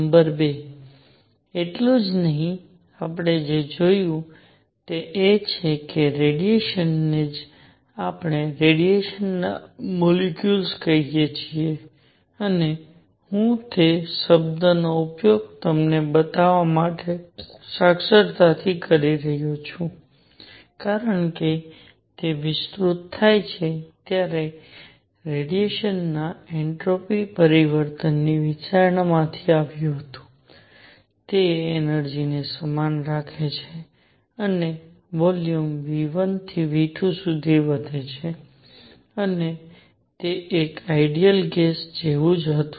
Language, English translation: Gujarati, Number 2; not only this, what we also saw is that radiation itself can be thought of as composed of let us call radiation molecules and I am using that term, the literately to show you because it came from the considerations of entropy change of radiation when it expanded, keeping the energy same and the volume increase from v 1 to v 2 and it was the same as an ideal gas